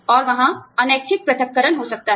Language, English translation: Hindi, And, there could be, involuntary separation